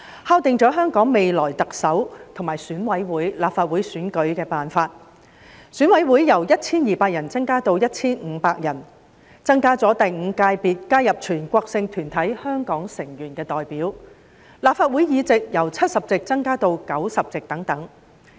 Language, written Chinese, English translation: Cantonese, 敲定了香港未來特首、選舉委員會及立法會的選舉辦法。選委會由 1,200 人增加至 1,500 人，增加了第五界別，加入了全國性團體香港成員的代表，而立法會議席則由70席增加至90席等。, The size of EC will be expanded from 1 200 members to 1 500 members adding the Fifth Sector comprising the representatives of Hong Kong members of relevant national organizations while the number of seats in the Legislative Council will increase from 70 to 90